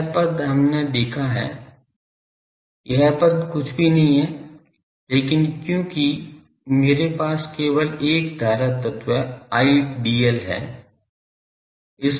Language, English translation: Hindi, This term is we have seen that this term is nothing, but because I have only a current element I